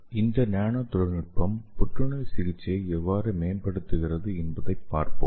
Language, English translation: Tamil, So that we can make this nanotechnology based therapy as a efficient therapy for cancer